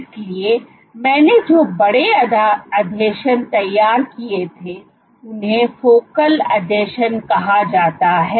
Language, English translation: Hindi, So, these larger adhesions that I had drawn, so, these are called focal adhesions